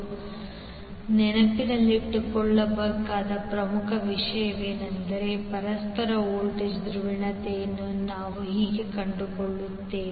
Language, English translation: Kannada, So the important thing which you have to remember is that how you will find out the polarity of mutual voltage